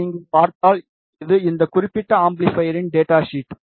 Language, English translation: Tamil, If you see here, this is the data sheet of this particular amplifier